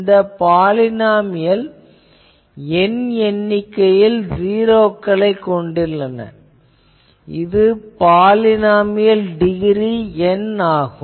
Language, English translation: Tamil, Firstly, let us see this polynomial of order n has n number of zeros, this is a polynomial of degree N if I expand capital N